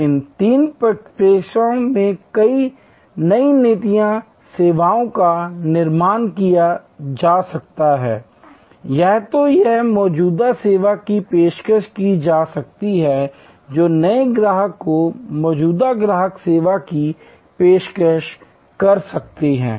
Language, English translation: Hindi, So, new services can be created in these three trajectories either it can be existing service offered new service offer to existing customer existing service offer to new customer